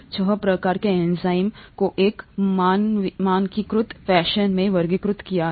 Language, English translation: Hindi, The six types that the enzymes are classified into in a standardised fashion